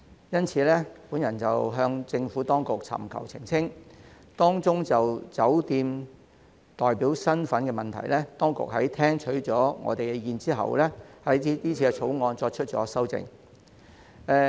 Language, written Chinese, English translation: Cantonese, 因此，我曾向政府當局尋求澄清，當中就着酒店代表身份的問題，當局在聽取意見後，對今次《條例草案》作出了修訂。, Therefore I have sought clarification from the Administration . Regarding the issue on the hotel representative status the authorities have made an amendment to the current Bill after listening to the views expressed